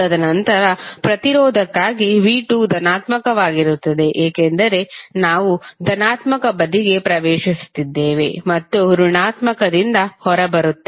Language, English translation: Kannada, And then for the resistance, v¬2¬ is positive because we are entering into the positive side and coming out of negative